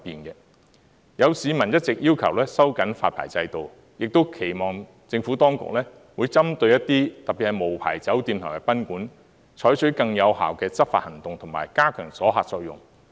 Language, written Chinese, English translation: Cantonese, 有市民一直要求收緊發牌制度，亦期望政府當局會針對一些處所，特別是無牌酒店及賓館，採取更有效的執法行動及加強阻嚇作用。, Some members of the public have been urging for the tightening of the licensing regime . They also anticipate that the Administration will target certain premises especially unlicensed hotels and guesthouses by adopting more effective enforcement actions and enhancing the deterrent effect